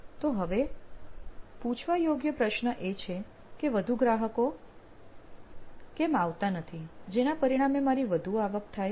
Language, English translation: Gujarati, So the question to ask right now would be, why don’t many customers show up, thus which will result in my high revenue